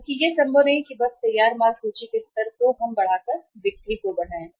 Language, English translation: Hindi, Because it is not possible that simply by increasing the level of finished goods inventory we can increase the sales